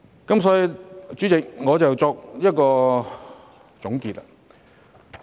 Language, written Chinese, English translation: Cantonese, 因此，主席，讓我作一個總結。, Hence President let me wrap up my speech